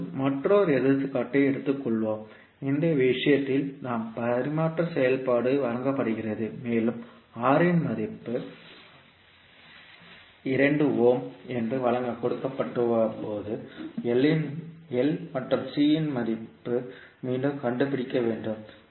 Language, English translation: Tamil, Now let us take another example, in this case we transfer function is given and we need to find out the value of L and C again when the value of R is given that is 2 ohm